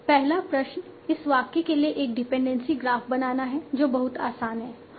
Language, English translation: Hindi, First question is draw a dependency graph of this sentence